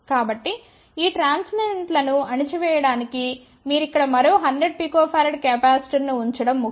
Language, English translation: Telugu, So, to suppress these transients it is important that you put another 100 pico farad capacitor over here